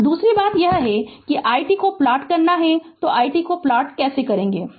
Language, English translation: Hindi, Now, second thing is that i t also we have to plot that how will plot the i t